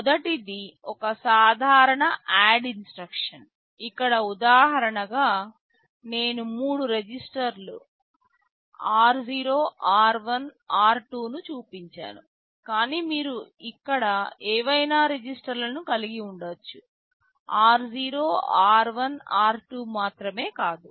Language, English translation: Telugu, First is a simple add instruction, well here as an example I have shown three registers r 0, r1, r2, but you can have any registers here not necessarily only r0, r1, r2